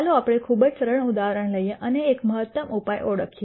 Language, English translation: Gujarati, Let us take a very very simple example and identify an optimum solution